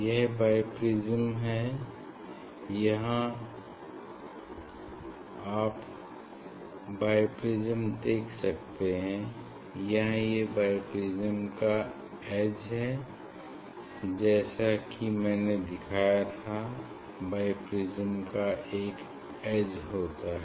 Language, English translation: Hindi, Now, this is bi prism, you can see this bi prism here this edge it is there is a edge of bi prism, as I showed you there is a edge of the bi prism